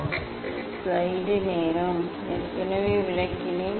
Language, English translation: Tamil, Already I have explained